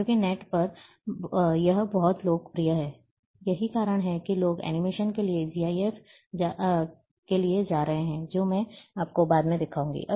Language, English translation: Hindi, Because on net it is very popular, that is why people are going GIF for animations which I will show you little later